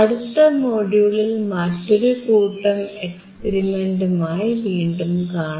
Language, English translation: Malayalam, I will see you in the next module with another set of experiments